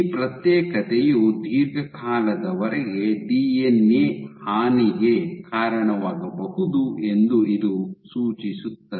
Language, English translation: Kannada, So, this suggests that this segregation can be a cause of DNA damage long term